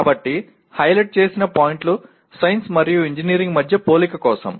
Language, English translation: Telugu, So the highlighted points are the points for comparison between science and engineering